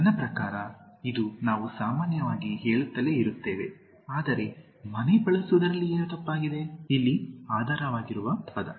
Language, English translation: Kannada, I mean it is something we keep saying normally, but what is wrong with using home, the underlying word here